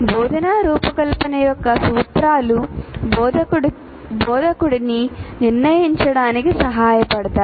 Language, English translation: Telugu, So that is what the principles of instructional design will help the instructor to decide on this